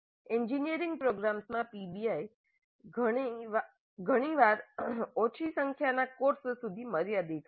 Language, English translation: Gujarati, PBI in engineering programs is often limited to a small number of courses